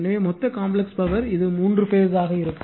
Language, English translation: Tamil, So, total complex power, it will be three phase right